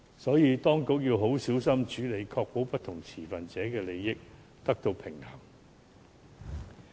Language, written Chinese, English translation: Cantonese, 因此，當局要小心處理，確保不同持份者的利益得到平衡。, Hence the authorities have to carefully ensure that the interests of different stakeholders are balanced